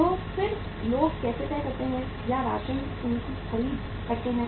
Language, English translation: Hindi, So how the people then decide or ration their say uh their purchases